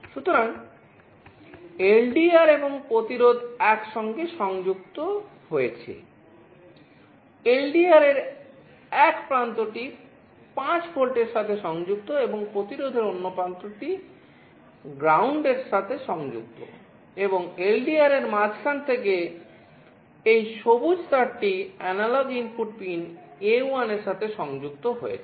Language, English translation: Bengali, So, LDR and resistance are connected together in one junction one end of the LDR is connected to 5 volts, and the other end of the resistance is connected to ground, and from the middle point of the LDR, this green wire is getting connected to the analog input pin A1